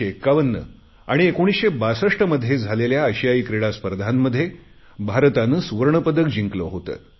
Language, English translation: Marathi, The Indian Football team won the gold medal at the Asian Games in 1951 and 1962, and came fourth in the 1956 Olympics